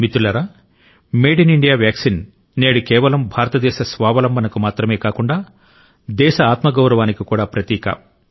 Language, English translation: Telugu, today, the Made in India vaccine is, of course, a symbol of India's selfreliance; it is also a symbol of her selfpride